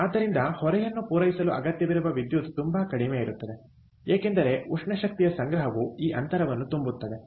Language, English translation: Kannada, so the electricity that is required to meet the load it will be much lesser because thermal energy storage can fill up this gap right